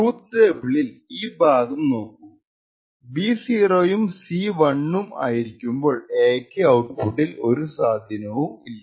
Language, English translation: Malayalam, On the other hand if we look at this particular part of the truth table, where B is 0 and C is 1 the change in A has no effect on the output